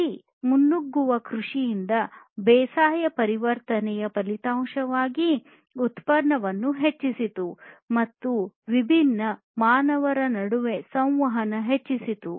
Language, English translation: Kannada, So, the result of this transformation from foraging to farming was that there was increased production, increased communication between different humans, and so on